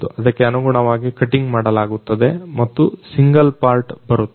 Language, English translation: Kannada, Accordingly cutting is done and a single part comes out